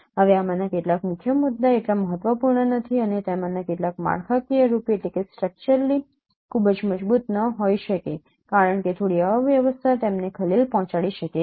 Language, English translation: Gujarati, Now some of these key points are not so important and some of them may not be no structurally may not be very robust because a small disturbance small no transformation can disturb them